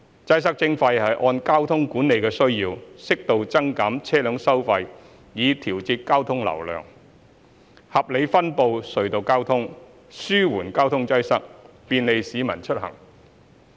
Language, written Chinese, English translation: Cantonese, "擠塞徵費"是按交通管理的需要，適度增減車輛收費以調節交通流量，合理分布隧道交通，紓緩交通擠塞，便利市民出行。, Congestion Charging means to increase or reduce vehicle tolls to regulate traffic flow according to the needs of traffic management so as to rationalize the distribution of tunnel traffic alleviate traffic congestion and facilitate the commute of the public